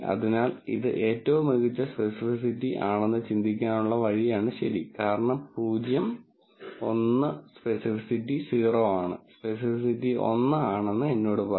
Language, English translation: Malayalam, So, the way to think about this is the, the best specificity point, is actually this right, because 0 1 minus specificity is 0 would tell me specificity is 1